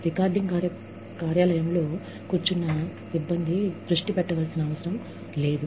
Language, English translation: Telugu, The crew, sitting in the recording office, does not have to pay attention